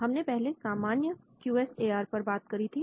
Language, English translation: Hindi, We talked about the normal QSAR